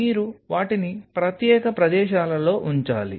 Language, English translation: Telugu, So, you needed to keep them at separate spots